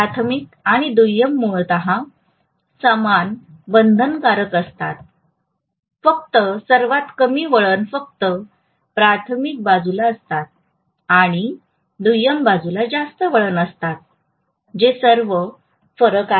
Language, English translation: Marathi, The primary and secondary are essentially the same binding, only thing is less number of turns are there in the primary side and more number of turns are there in the secondary side that’s all is the difference, right